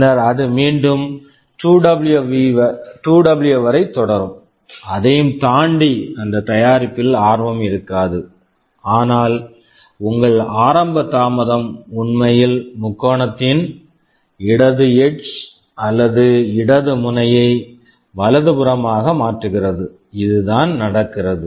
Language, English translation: Tamil, So, from then again it will continue up to 2W beyond which there will be no interest in that product anymore, but your initial delay is actually shifting the left edge or the left vertex of your triangle to the right, this is what is happening